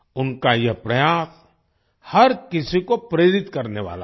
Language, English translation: Hindi, Their efforts are going to inspire everyone